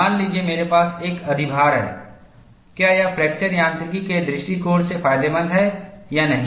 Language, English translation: Hindi, Suppose, I have an overload, is it beneficial from fracture mechanics from point of view or not